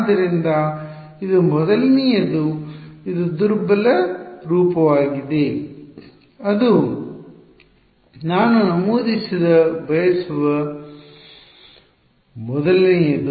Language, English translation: Kannada, So, that is a first thing this is the weak form that is a first thing I want to mention